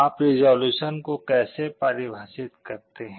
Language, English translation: Hindi, How do you define the resolution